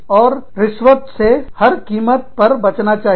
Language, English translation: Hindi, And, a bribe should be avoided, at all costs